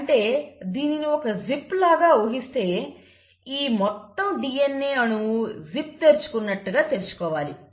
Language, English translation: Telugu, So it is like you have a zip and then you have to unzip this entire molecule of DNA